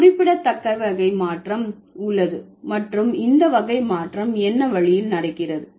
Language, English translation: Tamil, There is also a significant category change and this category change happens in what way